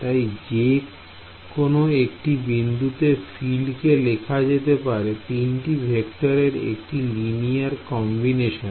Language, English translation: Bengali, So, I am writing the field at any point as a linear combination of these 3 vector fields